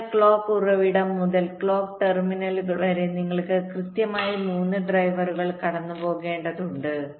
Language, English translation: Malayalam, so from the clock source to the clock terminals, you need exactly three drivers to be traversed